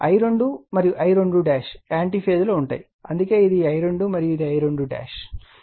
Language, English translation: Telugu, And I 2 and I 2 dash are in anti phase I told you that is why this is I 2 and this is your I 2 dash